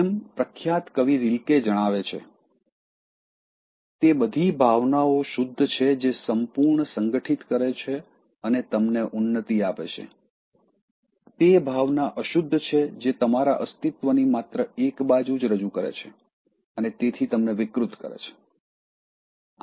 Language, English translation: Gujarati, And as the famous poet Rilke points out, quote unquote from the poet: “All emotions are pure which gather you and lift you up; that emotion is impure which seizes only one side of your being and so distorts you